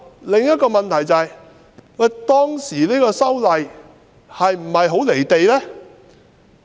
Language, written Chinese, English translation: Cantonese, 另一問題是，當時的修例工作是否很"離地"呢？, Another problem is whether the amendment exercise back then was way detached from reality